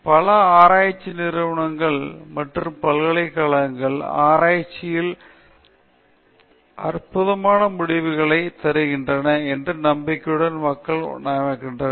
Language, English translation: Tamil, Many research organizations and universities appoint people with the expectation that they come up with wonderful results in research